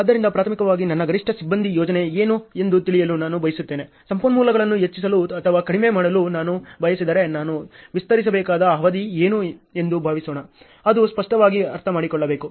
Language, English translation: Kannada, So, primarily I wanted to know what is my maximum crew composition, suppose if I want to increase or decrease a resources what is a duration with which I have to extend; that obviously, you have to understand ok